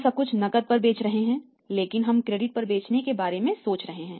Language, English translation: Hindi, We are selling everything on cash but we are thinking of selling on the credit